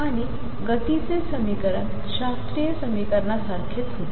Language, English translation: Marathi, And the equation of motion was same as classical equation